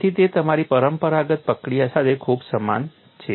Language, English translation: Gujarati, So, it is very similar to your conventional procedure